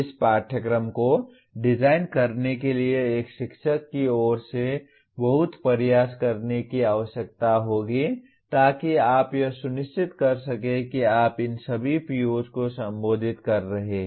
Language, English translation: Hindi, Designing this course will require lot of effort on the part of a teacher to make sure that you are addressing all these POs